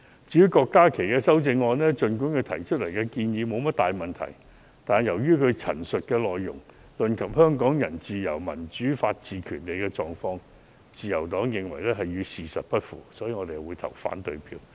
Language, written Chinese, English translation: Cantonese, 至於郭家麒議員的修正案，儘管他提出的建議沒有大問題，但由於他陳述的內容論及香港人自由、民主、法治及權利的狀況，自由黨認為與事實不符，所以，我們會投反對票。, As for the amendment proposed by Dr KWOK Ka - ki although there are no big problems with his proposals we will vote against it for the Liberal Party does not think his remarks on freedom democracy rule of law and rights enjoyed by Hong Kong people tally with the facts